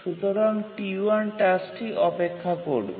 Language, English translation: Bengali, So, the task T1 waits